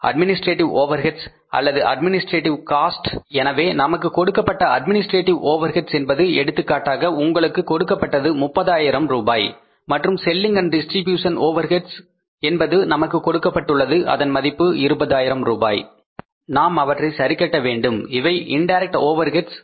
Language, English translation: Tamil, So administrative overheads given to us are, for example, if you are given the administrative overheads here, 30,000s and selling and distribution overheads are given to us are, for example if you are given the administrative overheads here 30,000s and selling and distribution overheads are given to us are 20,000s, right